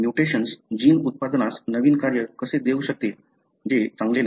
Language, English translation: Marathi, How mutation can offer a novel function to the gene product which is not good